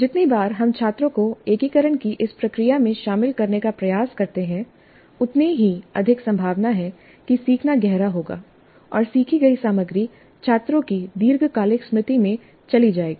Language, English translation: Hindi, The more often we try to have the students engage in this process of integration, the more likely that learning will be deep and the material learned would go into the long term memory of the students